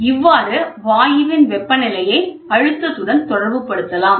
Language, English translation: Tamil, This in turn can correlate the pressure and temperature of the gas, ok